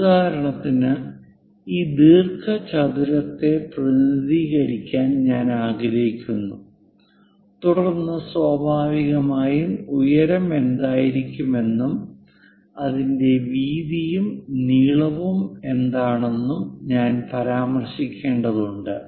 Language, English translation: Malayalam, For example, I want to represent this rectangle, then naturally, I have to mention what might be height and what might be its width and length